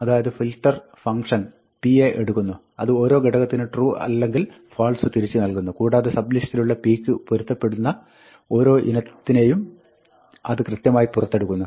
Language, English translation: Malayalam, So, filter takes a function p, which returns true or false for every element, and it pulls out precisely that sublist of l, for which every item in l, which falls into the sublist satisfies p